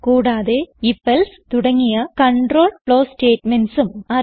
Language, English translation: Malayalam, And if...else control flow statements